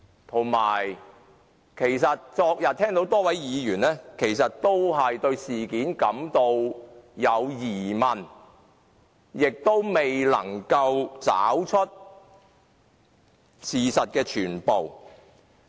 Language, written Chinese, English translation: Cantonese, 此外，昨天聽到多位議員皆對事件感到有疑問，亦未能知悉事實的全部。, Moreover yesterday I heard from the speeches of many Members that they were suspicious of the happenings and could not have a full picture of the facts